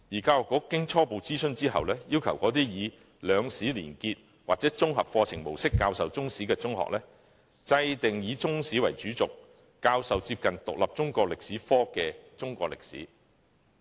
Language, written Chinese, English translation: Cantonese, 教育局經初步諮詢後，要求那些以"兩史連結"或"綜合課程模式"教授中史的中學"制訂以中史為主軸，教授接近獨立中國歷史科的中國歷史課程"。, Following preliminary consultation the Education Bureau requires those schools which adopt the mode of linking the two histories or an integrated curriculum mode in teaching Chinese history to devise a Chinese History curriculum with Chinese History as the backbone and the teaching of the curriculum so devised should be similar to that of an independent Chinese History subject